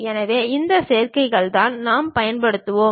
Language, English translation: Tamil, So, these are the combinations what we will use